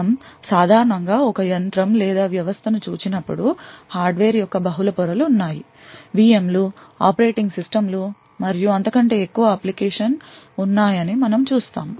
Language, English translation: Telugu, When we actually normally look at a machine or a system, we see that there are a multiple layer of hardware, there are VM’s, operating systems and above that the application